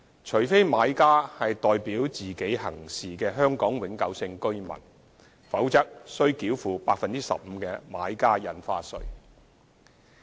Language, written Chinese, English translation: Cantonese, 除非買家是代表自己行事的香港永久性居民，否則須繳付 15% 的買家印花稅。, Unless the buyer is a Hong Kong permanent resident HKPR acting on hisher own behalf the residential property transaction concerned is subject to BSD at 15 %